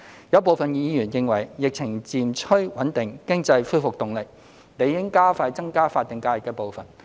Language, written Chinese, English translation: Cantonese, 有部分議員認為，疫情漸趨穩定，經濟恢復動力，理應加快增加法定假日的步伐。, Some Members are of the view that as the epidemic situation stabilizes and the economy has resumed momentum the pace of increasing SH ought to be accelerated